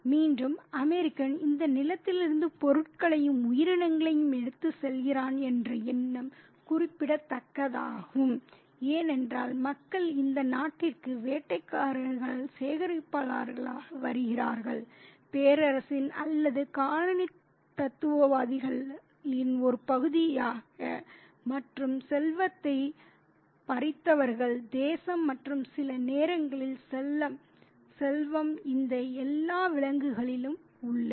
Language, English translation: Tamil, Again, that idea that, you know, the American just take away things and creatures from this land is significant because people have been coming to this country as a hunter collectors as part of this contingent of empire or colonizers and who have taken away the wealth of the nation and sometimes wealth is also in all these animals too